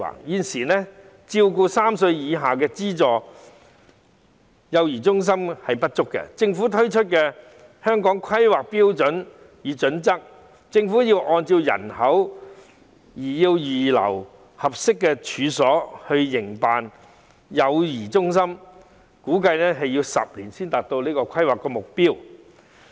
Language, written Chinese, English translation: Cantonese, 現時照顧3歲以下幼兒的資助幼兒中心不足，而根據政府發出的《香港規劃標準與準則》，政府須按照人口預留合適處所，供營辦幼兒中心之用，估計要10年才可達到規劃目標。, At present there is a shortage of subsidized child care centres for children under three . According to the Hong Kong Planning Standards and Guidelines issued by the Government it must reserve a number of suitable premises for child care centres to operate in accordance with the population . It is estimated that it will take 10 years to achieve the planning target